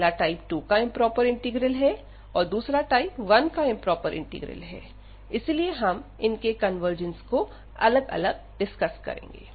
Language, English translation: Hindi, The first one is the improper integral of type 2, the second one is then improper integral of type 1, and then we can discuss separately the convergence of each